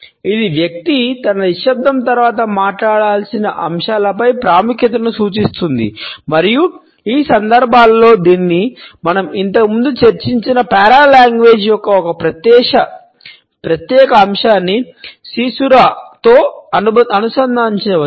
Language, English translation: Telugu, It signals emphasis on the points which the person has to speak after his silence and in these contexts it can be linked with caesura a particular aspect of paralanguage which we have discussed earlier